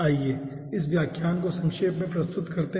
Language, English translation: Hindi, let us summarize this lecture